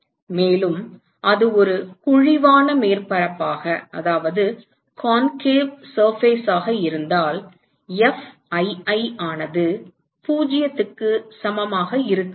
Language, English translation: Tamil, And, if it is a concave surface, Fii is not equal to 0